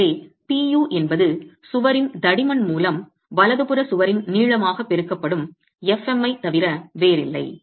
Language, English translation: Tamil, So, P, U is nothing but fM into thickness of the wall into length of the wall